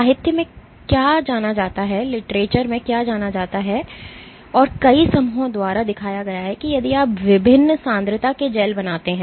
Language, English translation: Hindi, What is known in the literature and has been shown by many groups that if you make gels of various concentrations